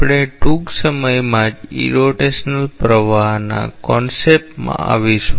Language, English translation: Gujarati, We will come into the concept of irrotational flow soon